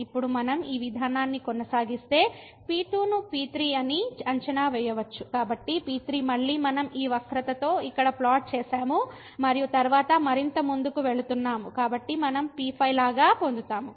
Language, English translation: Telugu, And now if we continue this process we can evaluate then , so again we have plotted here with this curve and then going further so we will get like